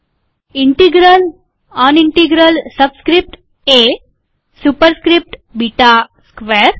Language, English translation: Gujarati, Integral, unintegral subscript A, superscript beta square